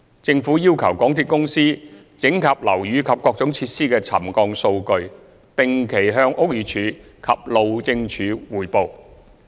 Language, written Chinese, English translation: Cantonese, 政府要求港鐵公司整合樓宇及各種設施的沉降數據，定期向屋宇署及路政署匯報。, At the request of the Government MTRCL consolidates the settlement data of affected buildings and facilities for reporting to BD and HyD